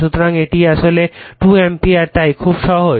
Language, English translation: Bengali, So, it is actually 2 ampere right so, very simple